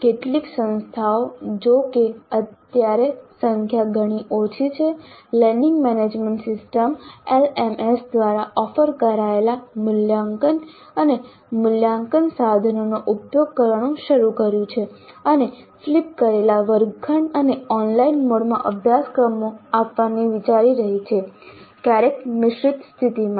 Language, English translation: Gujarati, Some institutions though at present are still very small in number have started using assessment and evaluation tools offered by learning management systems and are thinking of offering courses in flipped classroom and online mode sometimes in blended mode